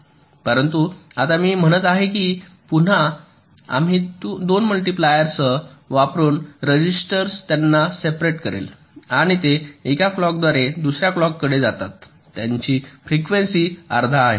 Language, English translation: Marathi, but now what i am saying is that we use two multipliers with, again, registers separating them and their clocked by by a clocked was frequency is half